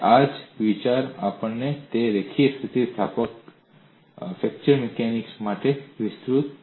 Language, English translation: Gujarati, The same idea we would also extend it for linear elastic fracture mechanics